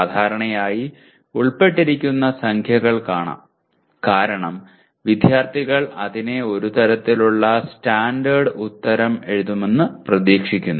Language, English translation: Malayalam, Generally because of the numbers involved, the students are expected to write a kind of a standard answer for that